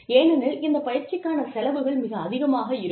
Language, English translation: Tamil, Because, these trainings costs, very high amounts of money